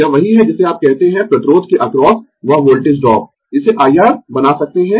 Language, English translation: Hindi, This is what you call that voltage drop across the resistance; we can make this I R